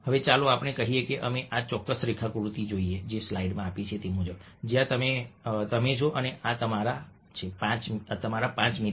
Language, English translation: Gujarati, now let's say that we look at this particular diagram where this is you and these are your, let say, five friends: one, two, three, four and five